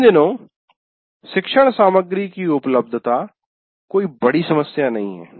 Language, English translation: Hindi, Generally these days availability of learning material is not a big issue